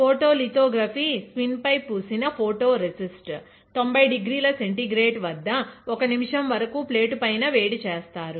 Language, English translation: Telugu, Photolithography spin coat photo resist; then soft bake, soft bake is done as 90 degree Centigrade for 1 minute on hot plate